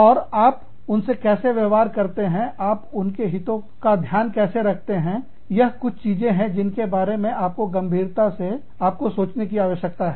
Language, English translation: Hindi, And, how do you treat them, how do you look after their interests, is something, that you need to think about, very, very seriously